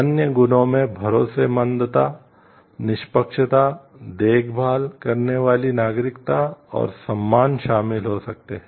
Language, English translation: Hindi, Other virtues may include trustworthiness, fairness, caring citizenship and respect